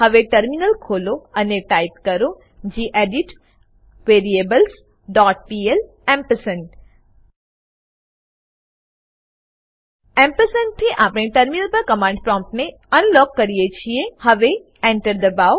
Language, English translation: Gujarati, Now open the Terminal and type gedit variables dot pl ampersand The ampersand will unlock the command prompt on the terminal